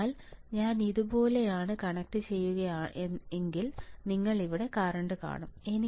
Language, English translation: Malayalam, So, if I connect if I connect like this you see either current here right